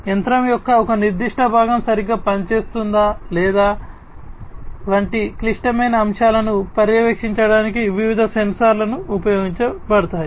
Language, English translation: Telugu, So, sensors different sensors are used to monitor the critical elements such as whether, a particular component of a machine is functioning properly or not